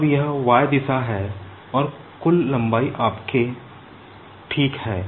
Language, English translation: Hindi, Now this is the y direction and the total length is your l ok